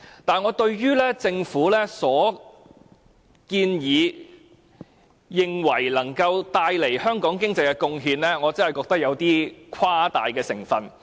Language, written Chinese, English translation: Cantonese, 但是，對於政府這項建議，聲稱能夠為香港帶來的經濟貢獻，我真的覺得有誇大成分。, In this regard I honestly think that there is a lot of exaggeration in the Governments claim concerning the economic benefits that the proposal will generate